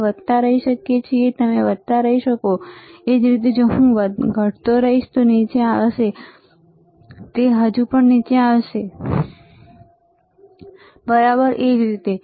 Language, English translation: Gujarati, We can keep on increasing, you can keep on increasing, same way if I keep on decreasing, it will come down, it will come down, it will still come down, right same way